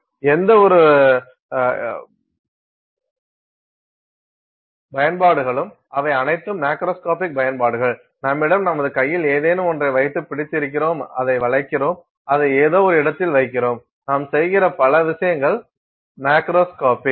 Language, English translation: Tamil, Any number of applications they are all macroscopic applications, you have something that you got your holding in your hand, you are bending it, you are putting it on some location, lot of things you are doing which is macroscopic